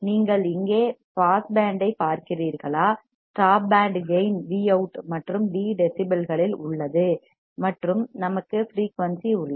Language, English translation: Tamil, Then have you see here you see pass band, stop band gain is given by V out and V we have in decibels and we have frequency